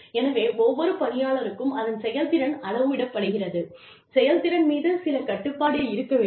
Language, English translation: Tamil, So, every employee, whose performance is being measured, should have some control over the performance